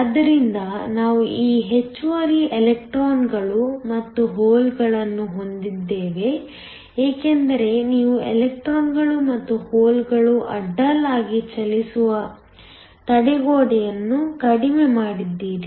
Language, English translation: Kannada, So, we have these extra electrons and holes because you have reduced the barrier for the electrons and holes to move across